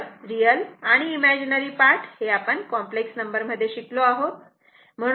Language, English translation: Marathi, So, real and imaginary part you separate now you have studied in the complex number